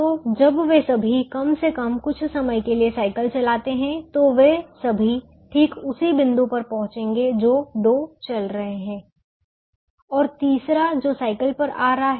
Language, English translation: Hindi, so when all of them ride the bicycle, at least for sometime, all of them will reach at exactly at same point: the two who are walking in, the third who is coming in the cycle